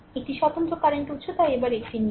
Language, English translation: Bengali, One independent current source so take one at a time